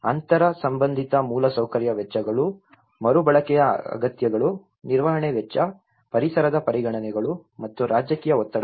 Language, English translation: Kannada, Inter related infrastructure costs, recycling needs, maintenance cost, environmental considerations, and political pressures